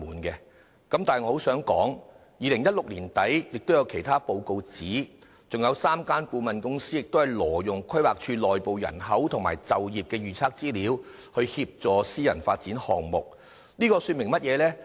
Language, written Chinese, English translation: Cantonese, 不過，我想指出，媒體在2016年年底也報道，還有3間顧問公司挪用規劃署內部人口和就業預測資料，協助私人發展項目，這說明了甚麼呢？, However I have to point out that according to the report made by the media in the end of 2016 another three consultant companies were involved in the illegal use of internal information of the Planning Department on projected population and employment for private development projects . What does it mean?